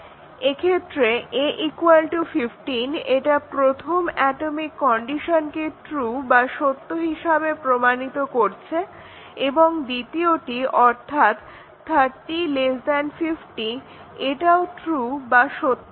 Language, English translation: Bengali, So, a is equal to 15 this will set the first atomic condition to be true and the second one 30 less than 50 will also be true